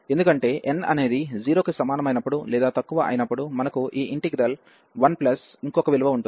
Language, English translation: Telugu, Because, when n is less than equal to 0, we have this integral 1 plus something